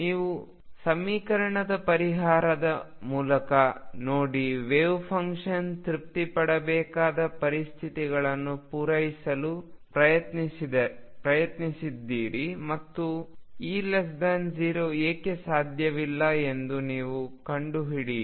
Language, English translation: Kannada, You look through the solution of the equation and tried to satisfy the conditions that has to be satisfied by the wave function and you will fine why E less than 0 is not possible